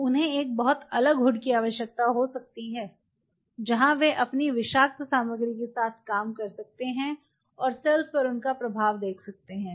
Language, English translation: Hindi, So, they may need a very separate hood where they can play out with there you know toxic material and see they are effect on the cells